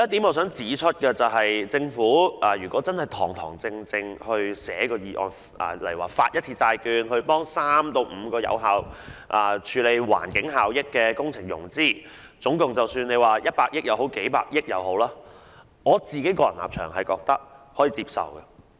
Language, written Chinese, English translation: Cantonese, 我想指出的一點是，假如政府堂堂正正草擬議案，發行一次債券協助3至5項有環境效益的工程融資，不論總額為100億元或數百億元，我個人認為可以接受。, The point I wish to make is that if the Government drafts a motion in an upright manner for the issuance of a bond to facilitate financing of three to five projects with environmental benefits no matter whether the total amount is 10 billion or tens of billions of dollars I personally consider it acceptable